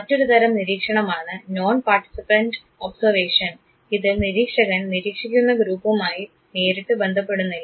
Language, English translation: Malayalam, The other type of observation what is called as non participant observation; non participant observation where the observer basically is not in direct contact with the group that he or she is trying to observe